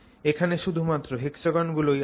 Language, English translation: Bengali, So, here you have only hexagons